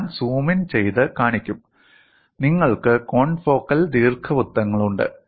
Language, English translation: Malayalam, I will also zoom in and show you have confocal ellipses